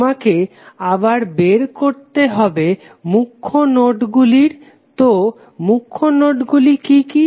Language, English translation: Bengali, You have to again find out the principal nodes, so what are the principal nodes